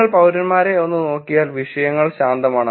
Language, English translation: Malayalam, If you look at the citizens one, the topics are quiet diverse